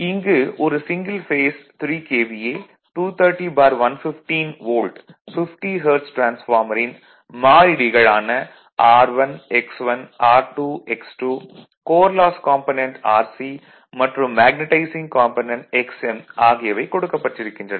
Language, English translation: Tamil, So, next is your a single phase 3 KVA transformer, 230 by 115 volt 50 hertz transformer has the following constant R 1 given X is given R 2 X 2 also given and R C that coal loss component resistance is given and magnetising component your reactance is given right; everything is given